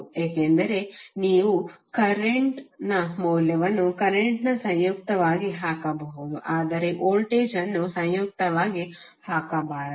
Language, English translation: Kannada, Because you’re putting value of current as a current conjugate not be voltage as a conjugate